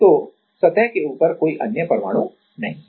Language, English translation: Hindi, So, there is no other atom on the above the surface right